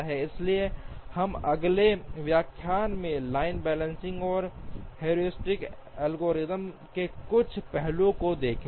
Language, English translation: Hindi, So we will see some aspects of line balancing and the heuristic algorithm in the next lecture